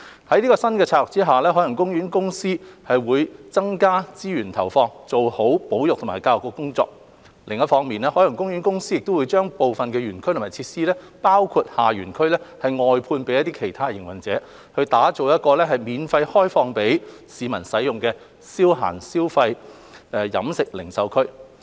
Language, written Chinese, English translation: Cantonese, 在新策略下，海洋公園公司會增加資源投放，做好保育和教育的工作；另一方面，海洋公園公司會將部分園區或設施，包括下園區外判予其他營運者，打造一個免費開放予市民使用的消閒消費、飲食零售區。, Under the new strategy OPC will allocate more resources for better conservation and education work . On the other hand it will outsource certain parts of the park or the facilities including the lower park to other operators so as to create an entertainment dining and retail zone for the public free of charge